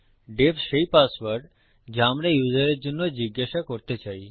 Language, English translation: Bengali, def is the password we want to ask the user for